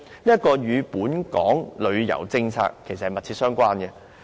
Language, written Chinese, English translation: Cantonese, 這與本港的旅遊政策密切相關。, This is closely related to Hong Kongs tourism policy